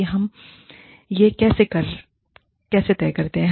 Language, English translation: Hindi, And, how do we decide this